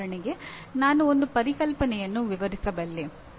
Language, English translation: Kannada, For example I can describe a concept